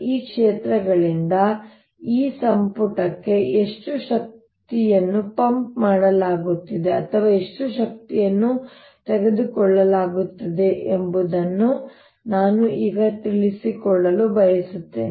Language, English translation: Kannada, what i want to know now is how much energy is being pumptined by these fields into this volume, or how much energy is being taken away